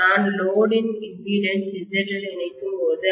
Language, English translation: Tamil, When I connect the load impedance of ZL, right